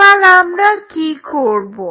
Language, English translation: Bengali, What will do